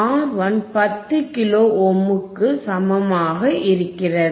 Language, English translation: Tamil, R 1 equals to 10 kilo ohms;